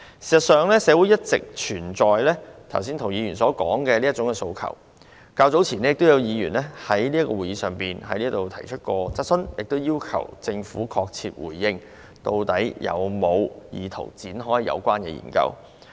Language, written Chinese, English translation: Cantonese, 事實上，社會上一直存在涂議員剛才所說的這種訴求，較早前亦有議員在會議上提出質詢，要求政府確切回應，究竟有否意圖展開有關的研究。, In fact there has always been such an appeal in society as what Mr TO suggested just now . Earlier on a Member also raised a question at a Council meeting requesting the Government to give a concrete response on whether it had the intention to conduct the relevant studies